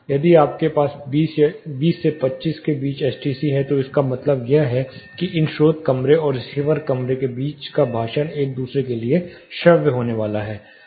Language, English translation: Hindi, If you have STC between 20 to 25, it also means that the speech between these two rooms, source room and the receiver room is going to be audible with each other